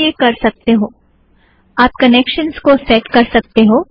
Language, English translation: Hindi, You can do the same thing, you can set the connection